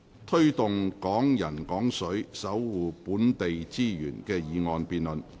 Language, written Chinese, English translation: Cantonese, "推動'港人港水'，守護本地資源"的議案辯論。, The motion debate on Promoting Hong Kong people using Hong Kong water and protecting local resources